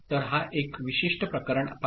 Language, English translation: Marathi, So, look at a particular case